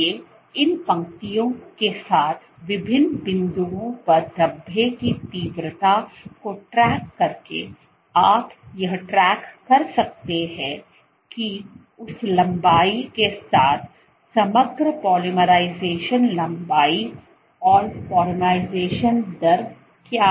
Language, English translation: Hindi, So, by tracking the intensity of speckles at various points along these lines you can track what is the overall polymerization length polymerization rate along that length